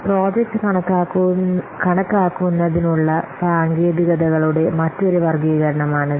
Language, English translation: Malayalam, So these are another classifications of techniques for project estimation